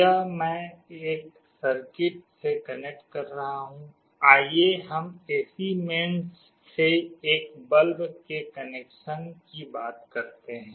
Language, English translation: Hindi, This I am connecting to a circuit, let us say a bulb to the AC mains